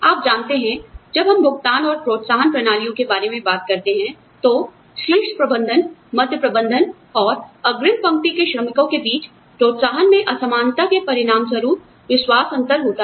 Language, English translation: Hindi, You know, when we talk about, pay and incentive systems, trust gap occurs, as a result of disparity in the incentives, between top management, middle management, and frontline workers